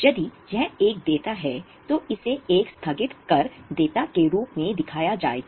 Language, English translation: Hindi, If it is a liability, it will be shown as a deferred tax liability